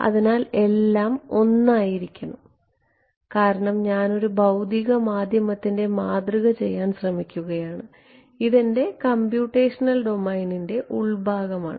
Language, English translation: Malayalam, So, everything has to be 1 because I am be trying to model a physical medium this is the inside of my computational domain